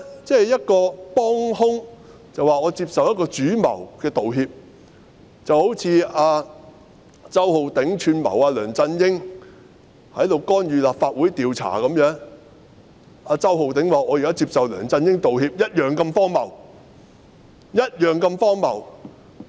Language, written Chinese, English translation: Cantonese, 這等於一名幫兇說接受主謀的道歉，正如周浩鼎議員串謀梁振英干預立法會調查，周浩鼎議員說現在接受梁振英道歉一樣那麼荒謬。, This is tantamount to an accomplice saying that he accepts the apology of the main culprit . It is as ridiculous as Mr Holden CHOW conspiring with LEUNG Chun - ying to interfere with the inquiry of the Legislative Council and saying now that he accepts the apology of LEUNG Chun - ying